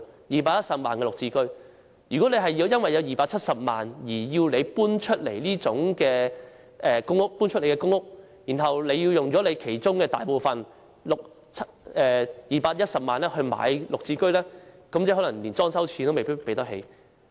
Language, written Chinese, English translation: Cantonese, 如果市民因為擁有270萬元而要搬離公屋，然後又要花大部分資產即210萬元購買"綠置居"，最後可能連裝修費用也負擔不起。, If PRH tenants in possession of 2.7 million are required to vacate their PRH flats and then they have to spend most of their assets that is 2.1 million on the purchase of GSH flats they might be unable to meet decoration expenses in the end